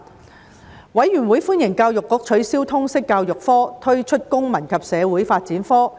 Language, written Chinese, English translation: Cantonese, 事務委員會歡迎教育局取消通識教育科並推出公民與社會發展科。, The Panel welcomed the Education Bureaus abolition of the subject of Liberal Studies and launching of the subject of Citizenship and Social Development